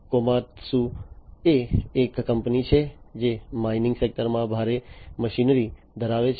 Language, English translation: Gujarati, Komatsu is a company, which is into heavy machinery in the mining sector